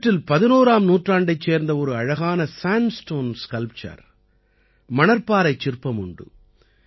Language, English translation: Tamil, You will also get to see a beautiful sandstone sculpture of the 11th century among these